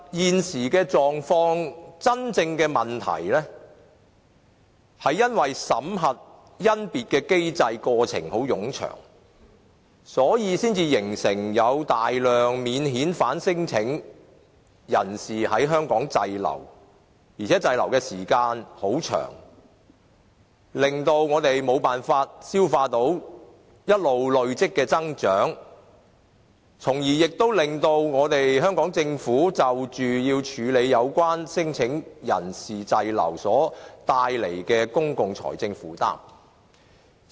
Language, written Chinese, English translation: Cantonese, 現時的狀況、真正的問題是因為審核甄別的機制、過程很冗長，所以才形成大量免遣返聲請人士在香港滯留，而且滯留的時間很長，令到我們無法消化一直累積的增長，亦令到香港政府要處理有關聲請人士滯留所帶來的公共財政負擔。, The actual cause of the existing problem is that the examination and screening mechanism is far too lengthy thus a large number of non - refoulement claimants are stranded in Hong Kong . Besides they have been stranding in Hong Kong for a substantial period of time so much so that we cannot absorb the growth that keeps on accumulating and hence the Hong Kong Government has to bear a heavy burden of public expenditure for handling claimants stranded in Hong Kong